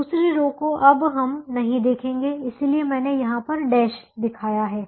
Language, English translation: Hindi, the second row we are not going to look at it, therefore i have shown it using a dash